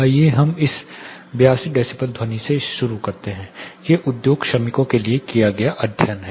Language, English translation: Hindi, Let us start from this 82 decibel sound, these are studies done with industry workers